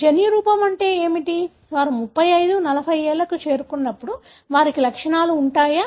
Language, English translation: Telugu, What is the genotype, whether they will have the symptoms when they are reaching around 35, 40 years